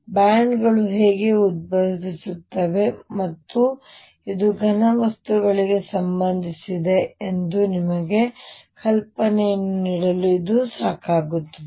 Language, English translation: Kannada, And that is sufficient to give you an idea how bands arise and this would be related to solids